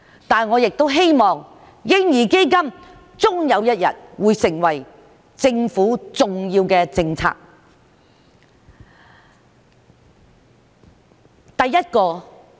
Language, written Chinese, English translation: Cantonese, 但是，我也希望嬰兒基金終有一日會成為政府重要的政策。, However I hope that the Government will ultimately adopt the proposal of a baby fund as its major policy